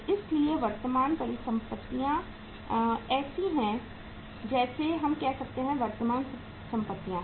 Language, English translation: Hindi, So current assets are like say uh we say current assets